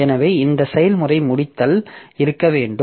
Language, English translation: Tamil, So, this process termination has to be there